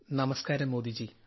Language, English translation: Malayalam, Namastey Modi ji